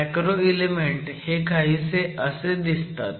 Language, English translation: Marathi, So the macro element looks something like this